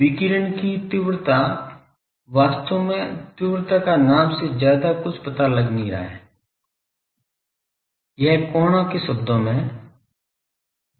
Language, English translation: Hindi, Radiation Intensity , Radiation Intensity actually the intensity the name does not say much the thing is it is a function of angles